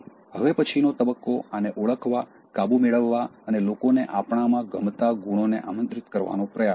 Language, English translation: Gujarati, The next stage is, identifying this, overcoming and trying to invite qualities which people like in us